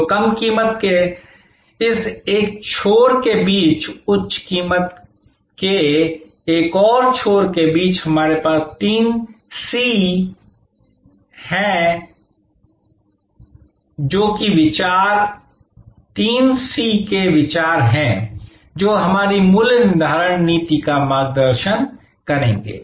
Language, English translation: Hindi, So, between this one end of low price, another end of high price, we have this considerations of the three C’S, which will guide our pricing policy